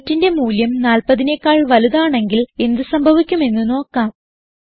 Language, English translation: Malayalam, Let us see what happens if the value of weight is greater than 40